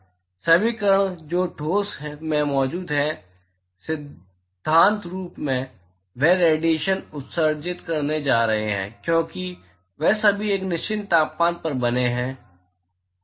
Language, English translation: Hindi, All the particles which is present in solid, in principle, they are going to emit radiation because they are all maintained at a certain temperature